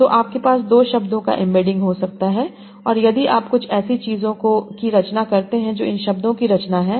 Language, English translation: Hindi, So you can have a embedding of two words and you add these together, you find something that is some sort of composition of this term